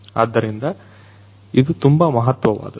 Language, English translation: Kannada, So, this is something very important